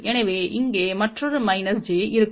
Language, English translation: Tamil, So, already minus j is out there